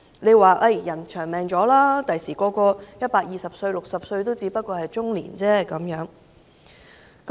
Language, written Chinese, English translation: Cantonese, 他們說人均壽命延長，將來人人壽命120歲 ，60 歲只是中年而已。, They say that with the lengthening of the average life expectancy all of us will live to 120 years in the future so being 60 years old is just middle - aged